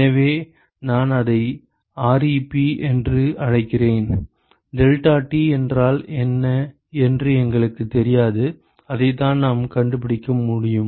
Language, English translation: Tamil, So, I call it ReP we do not know what the deltaT is that is what we able to find